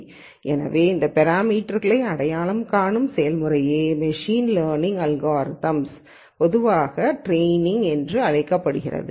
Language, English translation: Tamil, So, the process of identifying these parameters is what is usually called in machine learning algorithms as training